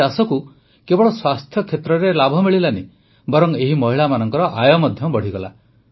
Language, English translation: Odia, Not only did this farming benefit in the field of health; the income of these women also increased